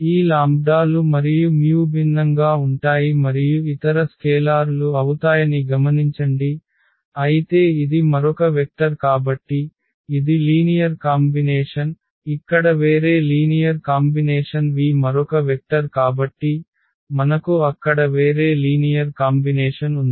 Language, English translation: Telugu, Note that these lambdas and this mus will be different and the other scalars, but this u is another vector so, this is a linear combination, a different linear combination here v is another vector so, we have a different linear combination there